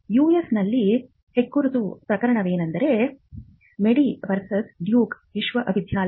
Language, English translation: Kannada, One case which was the landmark case in the US involves Madey versus Duke University